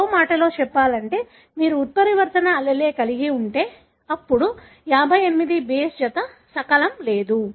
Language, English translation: Telugu, In other words if you have mutant allele, then the 58 base pair fragment will be missing